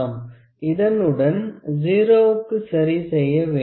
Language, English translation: Tamil, Also here, we need to adjust for this 0